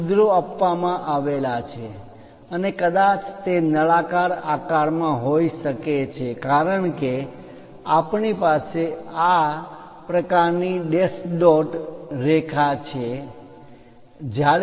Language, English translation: Gujarati, These are holes involved and perhaps it might be going into cylindrical shape that is a reason we have this dash dot kind of lines